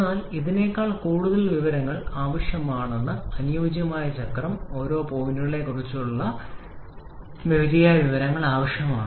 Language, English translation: Malayalam, But we need much more information than the ideal cycle, we need to have proper information about each of the points